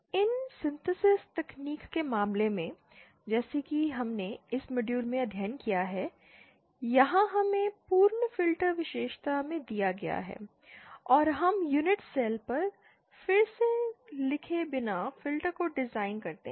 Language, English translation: Hindi, In the case of these synthesis technique as we studied in this module here we are we have been given in the complete filter characteristic and we design the filter as a whole with out reeling on unit cell